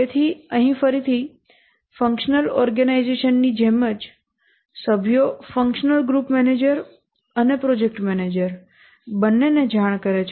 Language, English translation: Gujarati, So here again, just like a functional organization, the members report to both functional group manager and the project manager